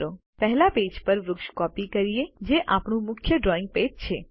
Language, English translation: Gujarati, Lets copy the tree to page one which is our main drawing page